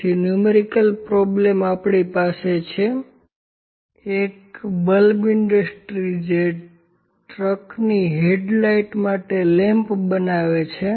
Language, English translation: Gujarati, So, in the numerical problem we have in this question a bulb industry produces lamps for the headlights of trucks